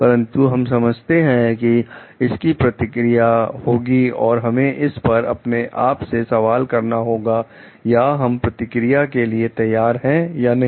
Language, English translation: Hindi, But, we understand like it has repercussions and we have to question this to our self or we prepared for repercussions or not